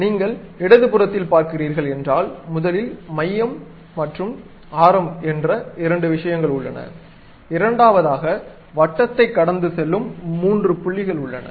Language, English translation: Tamil, If you are seeing on the left hand side, there are two things like first one is center and radius, second one is some three points around which this circle is passing